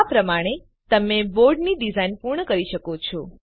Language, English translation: Gujarati, In this way you can complete the design of the board